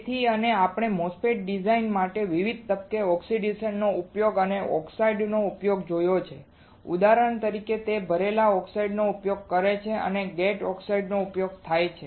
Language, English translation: Gujarati, So, and we have seen the application of oxidation or application of oxides at various stages for the MOSFET design for example, it is used the filled oxide it is used a gate oxide